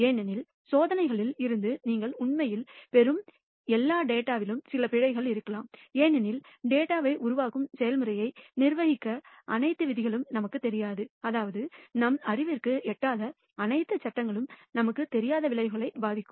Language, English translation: Tamil, Because, all data that you actually obtain from experiments contain some errors these errors can either be, because we do not know all the rules that govern the data generating process, that is, we do not know all the laws we may not have knowledge of all the causes that affects the outcomes and therefore, this is called modeling error